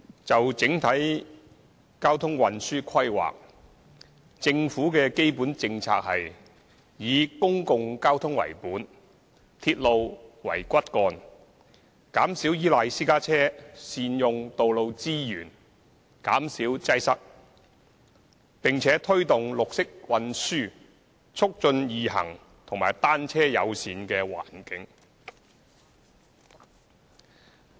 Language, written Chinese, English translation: Cantonese, 就整體交通運輸規劃，政府的基本政策是：以公共交通為本、鐵路為骨幹；減少依賴私家車，善用道路資源，減少擠塞；並推動綠色運輸、促進易行及"單車友善"的環境。, With regard to the overall planning on transportation the Governments basic policies are adopt the principle of centred on public transport with railway as the backbone; minimize reliance on private cars encourage optimum use of the road network alleviate congestion; promote green transport and Walk in HK establish a bicycle - friendly environment